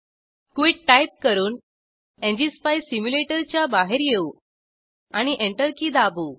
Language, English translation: Marathi, Quit the ngspice simulator by typing quit and press the Enter key